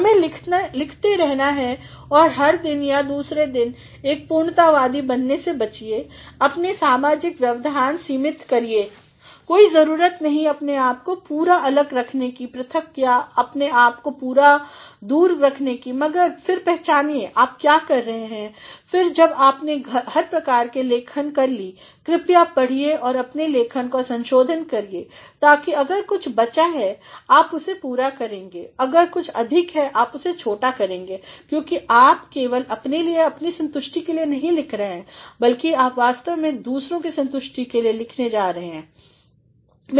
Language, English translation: Hindi, One has to keep on writing every day or the other so, avoid being a perfectionist, limit your social interruptions there is no need to cut yourself completely aloof or make yourself completely distanced, but then realize what you are up to and then when you have done all sorts of writing please read and revise your writing in order that if something has been left you are going to fill that if something is excessive you are to cut that short, because you are writing not simply for yourself for your satisfaction, but you are actually going to write for the satisfaction of others